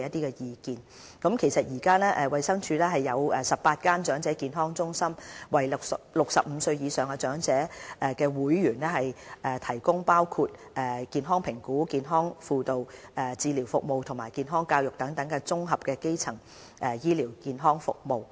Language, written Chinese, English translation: Cantonese, 衞生署現時共設有18間長者健康中心，為65歲或以上的長者會員提供包括健康評估、健康輔導、治療服務和健康教育等綜合基層醫療健康服務。, Currently the 18 EHCs established under DH provide integrated primary health care services including health assessment health counselling medical treatment and health education for elderly members aged 65 or above